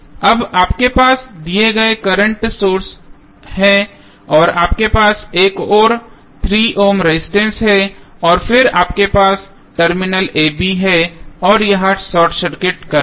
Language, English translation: Hindi, Now, you have the given current source and you have another 3 ohm resistance and then you have terminal a, b and this is the short circuit current